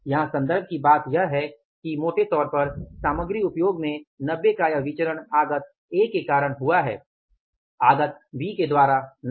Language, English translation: Hindi, Here the point of reference is that largely this variance of 90 in the material usage has been caused by the input A not by the input B rather input B is favorable